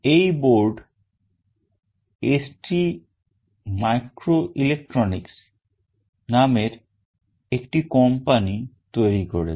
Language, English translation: Bengali, This board is developed by a company called ST microelectronics